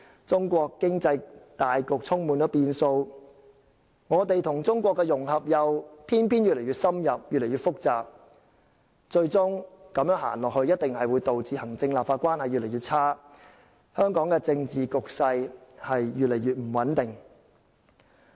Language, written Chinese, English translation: Cantonese, 中國經濟大局充滿變數，我們與中國的融合又偏偏越來越深入，越來越複雜，如此走下去，最終一定會導致行政和立法關係越來越差，香港的政治局勢亦會越來越不穩定。, The broad economy of China is fraught with uncertainties and as our integration with China is getting closer and more intricate the relationship between the executive authorities and the legislature will certainly be aggravated resulting in our political conditions being increasingly unstable